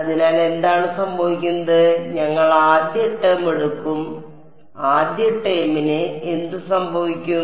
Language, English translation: Malayalam, So, what happens of we will just take the first term, what happens of the first term